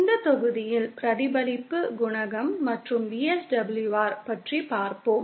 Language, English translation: Tamil, In this module we will be covering what is known as reflection coefficient and VSWR